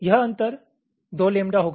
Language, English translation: Hindi, separation is one lambda